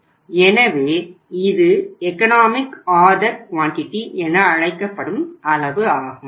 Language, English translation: Tamil, Why we call it as the economic order quantity